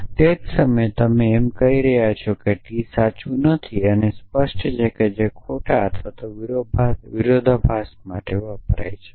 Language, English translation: Gujarati, And at the same time you are saying not T is true and obviously that stands for false or contradiction